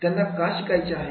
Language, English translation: Marathi, What they want to learn